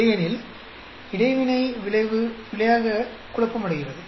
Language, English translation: Tamil, Otherwise, interaction effect gets confounded into error